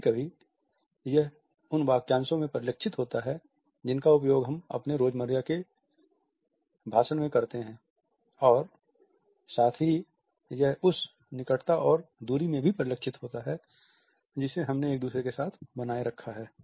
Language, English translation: Hindi, Sometimes it is reflected in the phrases which we use in our day to day speech and at the same time it is also reflected in the proximity and distance which we maintained with each other